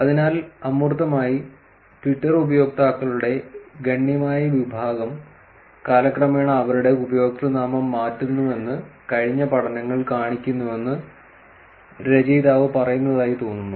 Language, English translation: Malayalam, So, in the abstract, it looks the author say that past studies show that a substantial section of Twitter users change their username over time